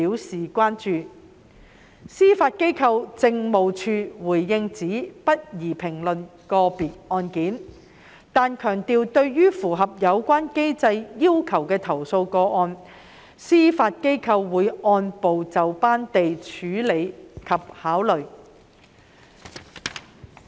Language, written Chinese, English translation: Cantonese, 司法機構政務處回應指不宜評論個別案件，但強調對於符合有關機制要求的投訴個案，司法機構會按部就班地處理及考慮。, In response the Judiciary Administration indicated that it should not comment on individual cases but stressed that complaints which comply with the mechanisms requirements would be dealt with and considered step by step by the Judiciary